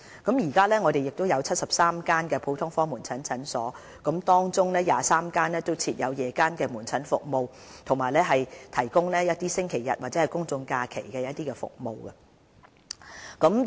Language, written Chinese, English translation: Cantonese, 我們目前有73間普通科門診診所，當中23間設有夜間門診服務，亦有診所提供星期日及公眾假期門診服務。, At present HA manages a total of 73 GOPCs of which 23 provide evening outpatient services and some provide outpatient services on Sundays and public holidays